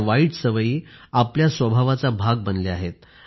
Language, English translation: Marathi, These bad habits have become a part of our nature